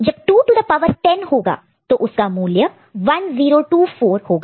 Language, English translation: Hindi, So, when it is 2 to the power 8 ok, it is 256